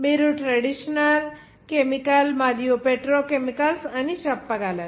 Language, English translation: Telugu, You can say traditional chemical and petrochemicals